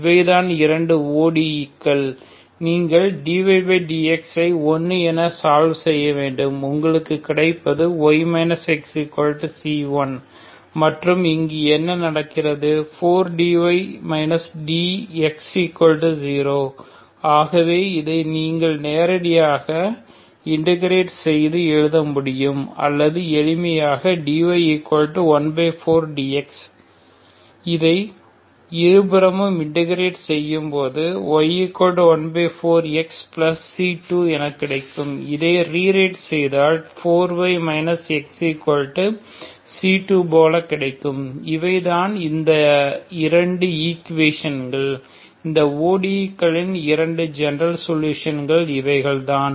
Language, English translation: Tamil, So these are the two ODE’s you have to solve D Y by D X equal to 1 that will give you Y minus X equal to constant C1 and what happens here D Y, 4 D Y minus D X, 4 D Y minus D X equal to 0 so this you can directly integrate and to get writes or you simply D Y equal to 1 by 4 D X so this you integrate both sides to get Y equal to 1 by 4 X plus C2 so if you rewrite this is like 4 Y bring this minus X this side so you have this is equal to 2